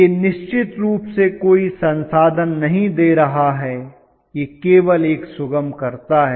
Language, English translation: Hindi, It is definitely not giving any resources; it is only a facilitator